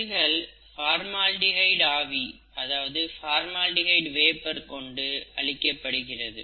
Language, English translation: Tamil, The cells are killed by formaldehyde, okay